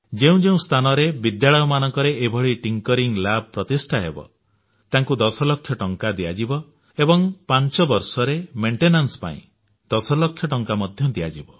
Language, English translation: Odia, Wherever such Tinkering Labs are established in schools, those would be given 10 Lakh rupees and further 10 Lakh rupees will be provided for maintenance during the period of five years